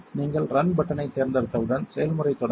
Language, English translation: Tamil, The process will begin once you have selected the run button